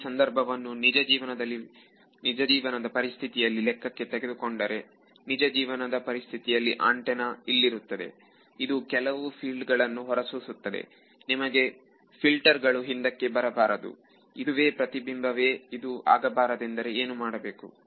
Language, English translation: Kannada, Transpose the situation into a real life situation; real life situation you have an antenna here and you do not the its sending out some fields you do not want the fields to come back to you basically that is the reflection I want to cut it out what would you do